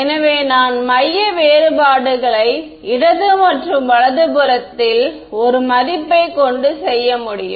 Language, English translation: Tamil, So, that I have a value on the left and the right I can do centre differences